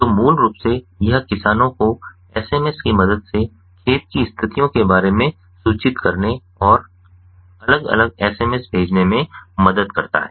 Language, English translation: Hindi, so basically, this basically helps in informing the farmers about the field conditions with the help of sms and different sending, different smses